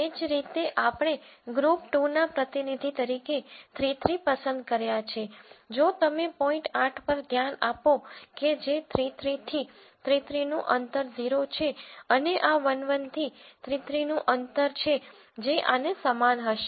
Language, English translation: Gujarati, Similarly since we chose 3 3 as representative of group 2, if you look at point eight which was a 3 3 point the distance of 3 3 from 3 3 is 0 and this is the distance of 3 3 from 1 1 which will be the same as this